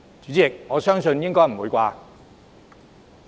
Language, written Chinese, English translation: Cantonese, 主席，我想應該不會吧。, I think it is probably not the case President